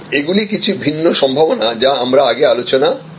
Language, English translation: Bengali, These are some different possibilities that we have discussed before